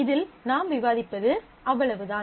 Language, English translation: Tamil, So, that is all that we discuss in this